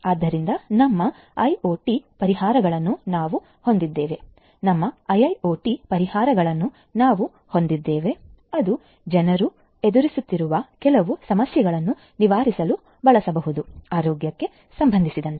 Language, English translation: Kannada, So, you know however, we have our IoT solutions, we have our IIoT solutions that could be used to alleviate some of the problems that are encountered by people with respect to health